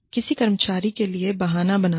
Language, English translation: Hindi, Making excuses, for an employee